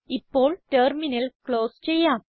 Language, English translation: Malayalam, Let us close the Terminal now